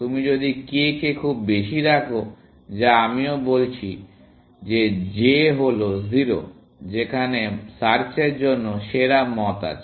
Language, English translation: Bengali, If you put k as very high, which I am also saying, that j is 0, there is like best for search